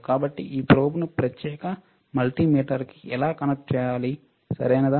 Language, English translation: Telugu, So, how to connect this probe to this particular multimeter, all right